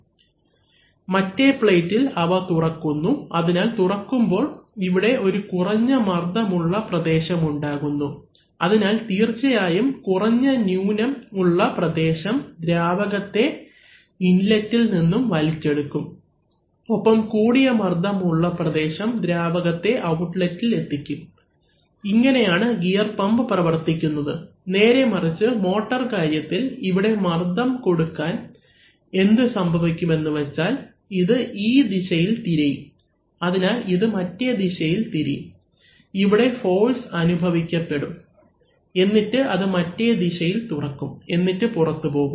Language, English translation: Malayalam, On the other plate they are, they are actually opening, so when they are opening here you have a low pressure region, so obviously this low pressure region will suck in fluid from the inlet and this high pressure region will actually drive the fluid at the outlet, so this is the way the gear pump works, so on the other hand if you, if you, in the case of the motor, again if we apply pressure here and if you, what will happen is that, then it will rotate in the other direction, so it will move in the other direction, this will get forced and then it will, it will open in the other direction and you go out